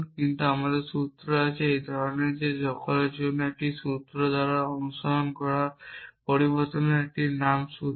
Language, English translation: Bengali, But we also have formula is of this kind that for all followed by variable name followed by a formula is a formula